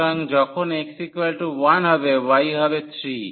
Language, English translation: Bengali, So, when x is 1 the y is 3